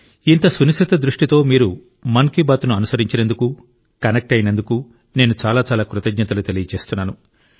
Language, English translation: Telugu, I express my gratitude to you for following Mann ki Baat so minutely; for staying connected as well